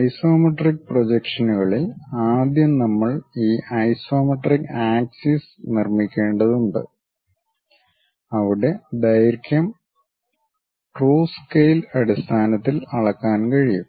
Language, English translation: Malayalam, In isometric projections first of all we have to construct this isometric axis where lengths can be measured on true scale basis